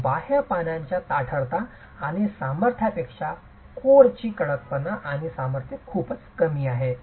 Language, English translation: Marathi, So, the stiffness and strength of the core is far lesser than the stiffness and strength of the outer leaves